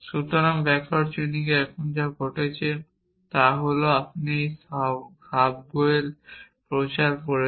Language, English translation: Bengali, So, what is happening here in backward chaining is that you are doing this subgoel promulgation